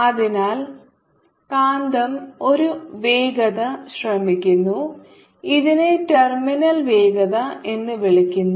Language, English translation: Malayalam, so the, the, the magnet attempts velocity, which is called terminal velocity